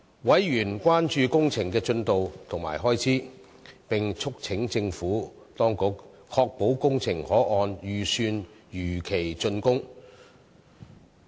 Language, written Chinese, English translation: Cantonese, 委員關注工程的進度及開支，並促請政府當局確保工程可按預算如期竣工。, Members were concerned about the progress and expenditure of the project . They urged the Administration to ensure that the delivery of the project could be completed in time and within budget